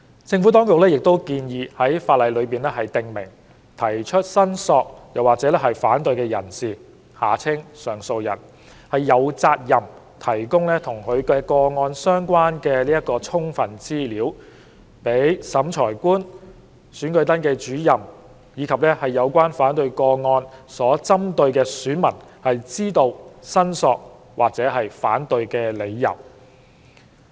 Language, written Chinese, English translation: Cantonese, 政府當局亦建議在法例中訂明，提出申索或反對的人士有責任提供與其個案相關的充分資料，讓審裁官、選舉登記主任及有關反對個案所針對的選民知道申索或反對的理由。, The Administration also proposes to specify in the law that it is the duty of the person lodging a claim or an objection appellant to provide sufficient information about the case so as to inform the Revising Officer the Electoral Registration Officer and in relation to an objection the person in respect of whom the objection is made of the grounds of the claim or objection